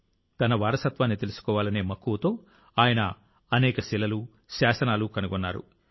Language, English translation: Telugu, In his passion to know his heritage, he found many stones and inscriptions